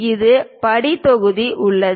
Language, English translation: Tamil, There is a step block